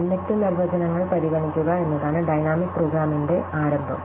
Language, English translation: Malayalam, So, the starting point of dynamic programming is to consider, what we would call inductive definitions